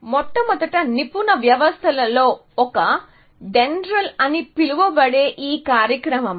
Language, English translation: Telugu, One of the first expert systems was this program called DENDRAL